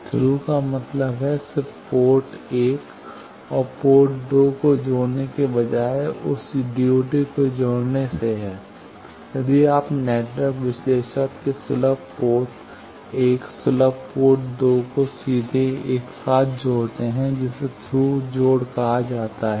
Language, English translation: Hindi, Thru means just connecting port 1 and port 2 instead of connecting that DUT if you just connect the accessible port 1 accessible port 2 of the network analyser directly together that is called Thru connection